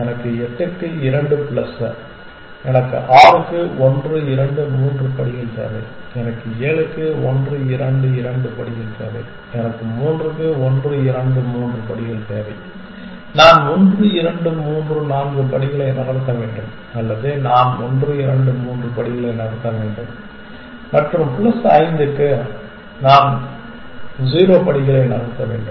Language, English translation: Tamil, So, 2 plus for 8, I need 1, 2, 3 steps for 6, I need 1, 2, 2 steps for 7, I need 1, 2, 3 steps for 3, I need to move 1, 2, 3, 4 steps or one I need to move 1, 2, 3 steps and plus for 5 I need to move 0 steps